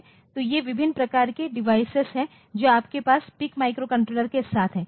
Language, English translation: Hindi, So, these are the various types of divide devices that you have with a PIC microcontroller